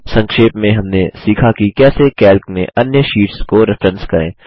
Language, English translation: Hindi, To summarize, we learned how to: Reference to other sheets in Calc